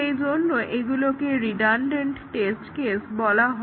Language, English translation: Bengali, So, those are called as the redundant test cases